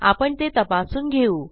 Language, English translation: Marathi, Well check on that